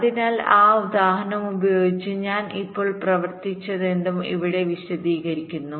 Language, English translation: Malayalam, so whatever i have just worked out with that example is explained here